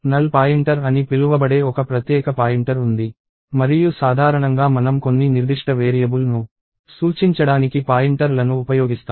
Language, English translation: Telugu, There is a special pointer called the null pointer and generally we use pointers to point to some specific variable